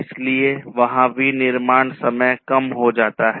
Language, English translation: Hindi, So, there is reduced manufacturing time